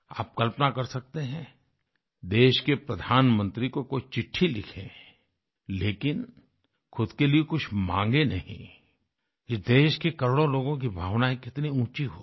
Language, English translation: Hindi, Just imagine… a person writing to the Prime Minister of the country, but seeking nothing for one's own self… it is a reflection on the lofty collective demeanour of crores of people in the country